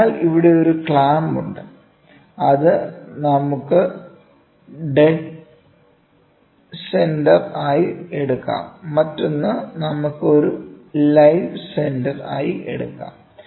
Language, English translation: Malayalam, So, here is a clamp which is maybe one we can take it as dead centre, the other one we can take it as a live centre